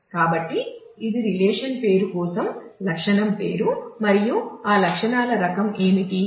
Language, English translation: Telugu, So, it is for the relation name what is attribute name and what is the type of that attributes